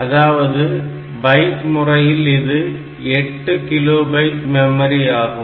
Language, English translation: Tamil, So, it will have only 8 kilo byte of memory